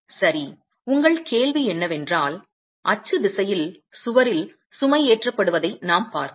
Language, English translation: Tamil, So your question is, what you are seeing is the wall being loaded in the axial direction